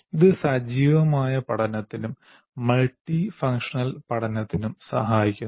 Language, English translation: Malayalam, And it facilitates, first of all, active learning, multifunctional learning